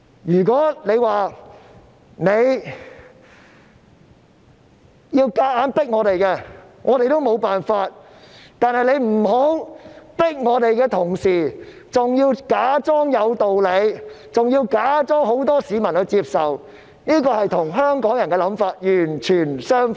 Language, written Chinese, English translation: Cantonese, 如果它想強迫我們，我們亦沒有辦法，但請不要在強迫我們的同時，還要假裝有道理，假裝有很多市民接受，這與香港人的想法完全相反。, If it wants to force these things on us we can do nothing about it . Yet when they are forcing these things on us they should not pretend that their actions are justified and accepted by many people . This is the exact opposite of the aspiration of the people of Hong Kong